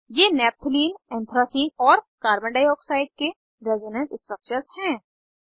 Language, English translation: Hindi, These are the resonance structures of Naphthalene, Anthracene and Carbon dioxide